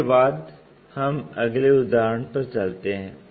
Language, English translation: Hindi, With that, let us move on to the next example